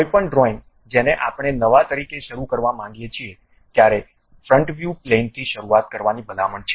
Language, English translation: Gujarati, Any drawing we would like to begin as a new one the recommended plane to begin is front plane